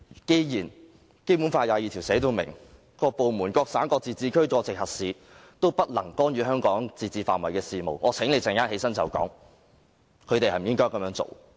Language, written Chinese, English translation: Cantonese, 既然《基本法》第二十二條已訂明，各部門、各省、自治區、直轄市均不得干預香港自治範圍的事務，我請你稍後回應時確認他們應否這樣做。, Since Article 22 of the Basic Law has already stipulated that no department province autonomous region or municipality directly under the Central Government may interfere in the affairs of Hong Kong within the scope of its autonomy I invite you to confirm when you speak in response later whether they should act in the ways I mentioned previously